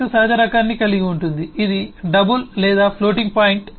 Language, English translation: Telugu, 36 naturally has a type which is double or floating point